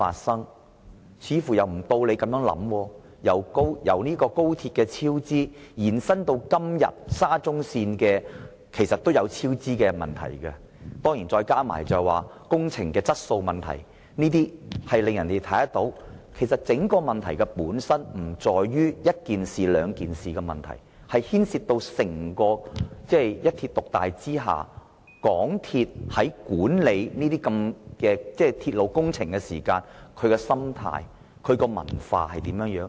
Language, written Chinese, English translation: Cantonese, 先有高鐵超支，後來延伸到現在的沙中線超支及工程質素等問題。整個問題本身不在於一兩件事件，而是牽涉到一鐵獨大之下，香港鐵路有限公司管理鐵路工程的心態和文化。, From the cost overruns of XRL to the cost overruns and substandard construction works of SCL it can be seen that the problem is not confined to one or two incidents but is related to the mentality and culture of the MTR Corporation Limited MTRCL in the management of railway projects under the hegemony of one railway company